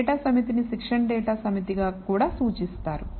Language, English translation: Telugu, Such that a data set is also denoted as the training data set